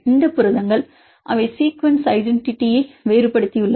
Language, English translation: Tamil, These proteins they have diverged sequence identity, but they common fold